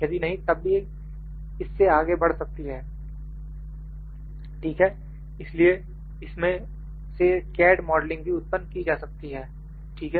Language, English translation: Hindi, If not then also the things are things can go, ok so, CAD modeling can be produced out of this, ok